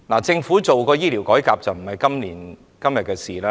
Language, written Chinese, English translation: Cantonese, 政府推行醫療改革，並非今天的事情。, The launching of a healthcare reform is not initiated by the Government today